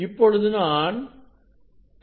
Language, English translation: Tamil, it is now 2